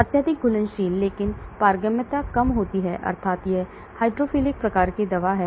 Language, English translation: Hindi, Highly soluble but permeability is low that means it is hydrophilic type of drug